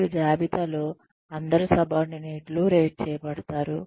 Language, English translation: Telugu, And lists, all subordinates to be rated